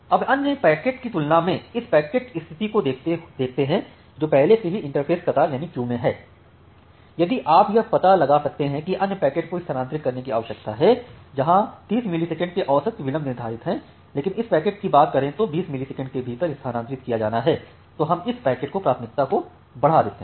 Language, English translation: Hindi, Now let us look into this packet status in compared to other packets which are already in my interface queue, if you can find out that well the other packets need to be transferred we did not say average delay of 30 millisecond, but this packet need to be transferred within 20 millisecond then we increase the priority of that packet